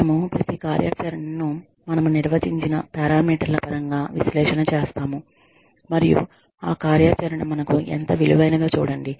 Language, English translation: Telugu, We evaluate each activity, in terms of the parameters, that we have defined, and see how valuable, that activity is for us